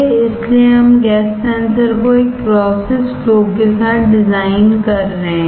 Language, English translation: Hindi, So, we are designing a gas sensor with a process flow